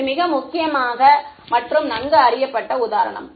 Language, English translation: Tamil, It is a very important and well known example